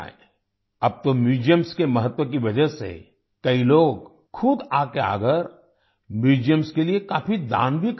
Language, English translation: Hindi, Now, because of the importance of museums, many people themselves are coming forward and donating a lot to the museums